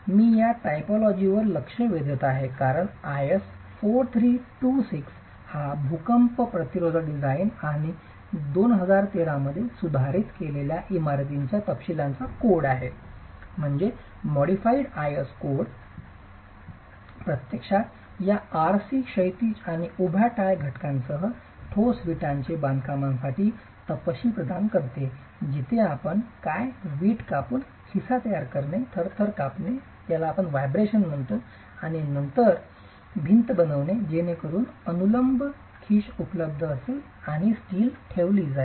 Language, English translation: Marathi, And this, am touching upon this typology because IS 4326 which is the code for earthquake resistant design and detailing of buildings in India revised in 2013 actually provides detailing for solid brick masonry construction with these RC horizontal and vertical tie elements where what you really need to do is create pockets by cutting brick layer by layer and then constructing the wall so that the vertical pocket is available, steel is placed and it is grouted